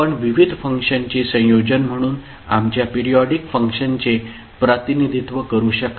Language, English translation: Marathi, So, you can represent our periodic function, as a combination of various functions